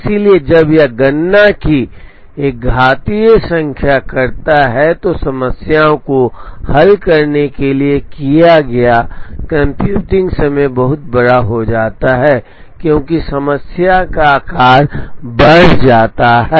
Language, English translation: Hindi, So, when it does an exponential number of computations, the computing time taken to solve the problem optimally becomes very large, as the size of the problem increases